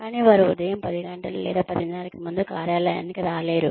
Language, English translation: Telugu, But, they are not able to get to the office, before 10:00 or 10:30 in the morning